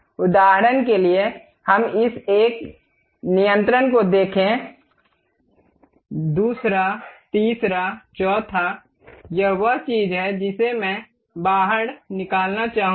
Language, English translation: Hindi, For example, let us look at this one control, second, third, fourth this is the thing what I would like to extrude